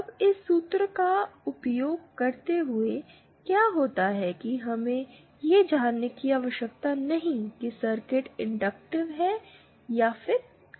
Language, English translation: Hindi, Now, using this formula, what happens is we we do not need to know whether the circuit is inductive or capacitive